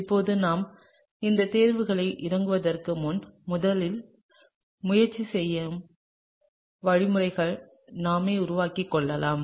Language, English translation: Tamil, Now before we get into these choices let’s first try and work out the mechanisms ourselves, okay